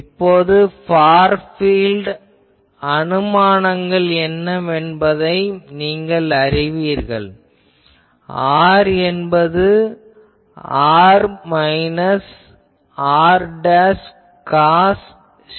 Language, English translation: Tamil, Now, far field assumptions all you know that R is equal to r minus r dashed cos psi